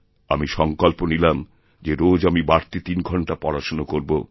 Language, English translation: Bengali, And I have resolved that I would devote three more hours daily towards my studies